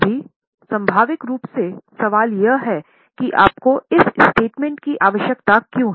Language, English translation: Hindi, Now, naturally the question comes is why do you need this statement